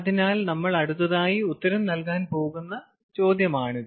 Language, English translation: Malayalam, ok, so that is the question that we are going to answer next